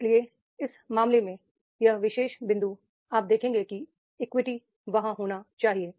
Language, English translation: Hindi, So therefore in that case this particular point you will see that is the equity is to be there